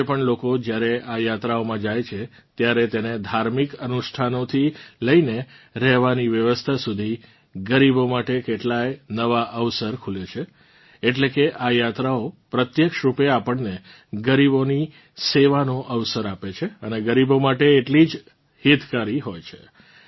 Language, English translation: Gujarati, Even today, when people go on these yatras, how many opportunities are created for the poor… from religious rituals to lodging arrangements… that is, these yatras directly give us an opportunity to serve the poor and are equally beneficial to them